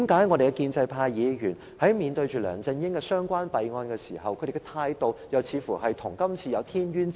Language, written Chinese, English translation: Cantonese, 為何建制派議員在面對梁振英的弊案時，態度又似乎跟今次有天淵之別？, How come pro - establishment Members adopt extremely different attitudes towards LEUNG Chun - yings fraud case and the present case?